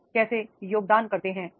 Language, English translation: Hindi, How do you contribute